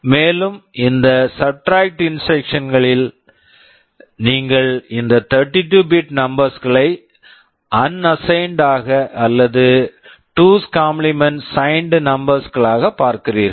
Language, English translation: Tamil, And, in these subtract instructions you are viewing these 32 bit numbers as either unsigned or as 2’s complement signed numbers